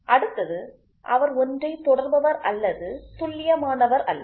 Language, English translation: Tamil, The next one is he is neither precise nor accurate